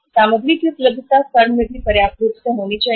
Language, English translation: Hindi, Availability of the material should also be sufficiently there in the firm